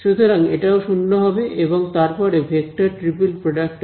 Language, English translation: Bengali, So, I am going to take the vector triple product vector cross product